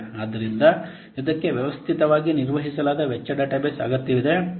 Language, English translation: Kannada, So it needs systematically maintained cost database